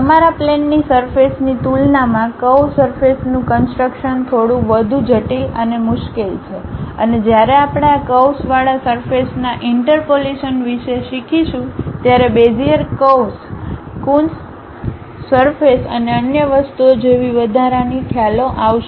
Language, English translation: Gujarati, Curved surface construction is bit more complicated and difficult compared to your plane surface and when we are going to learn about these curved surface interpolations additional concepts like Bezier curves, Coons surface and other things comes